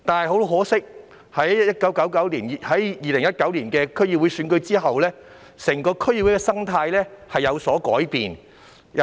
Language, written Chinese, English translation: Cantonese, 很可惜，在2019年的區議會選舉後，整個區議會的生態便有所改變。, Unfortunately after the DC Election in 2019 the ecology of DCs on the whole has changed